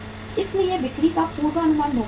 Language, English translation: Hindi, So sales forecasting is important